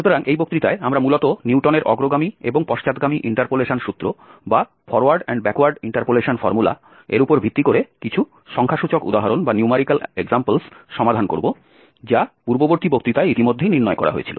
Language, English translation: Bengali, So, in this lecture, we will be basically doing some numerical examples based on the Newton's forward and backward interpolation formula, which were derived already in the previous lecture